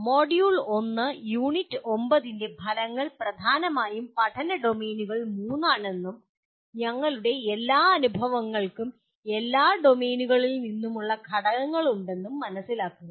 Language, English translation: Malayalam, The Module 1 Unit 9 the outcomes are understand that there are mainly three domains of learning and all our experiences have elements from all domains